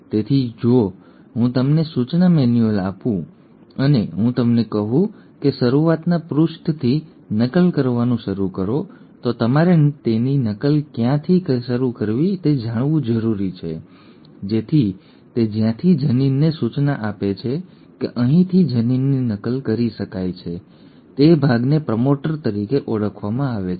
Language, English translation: Gujarati, So if I give you the instruction manual and I tell you, start copying from the start page, so you need to know from where to start copying it so that portion from where it gives an the instruction that the gene can be copied from here on is called as a “promoter”